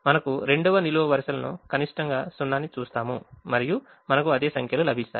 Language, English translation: Telugu, we look at the second column: the column minimum is zero and we will get the same numbers